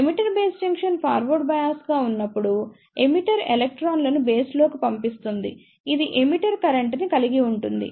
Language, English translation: Telugu, When the emitter base junction is forward bias emitter injects the electrons into the base, this constitutes the emitter current